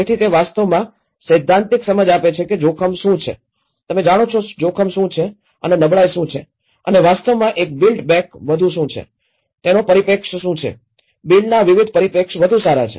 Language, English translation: Gujarati, So, it actually gives the theoretical understanding of what is a risk, what is a hazard you know and what is vulnerability and what is actually a build back better, what is the perspectives, different perspectives of build back better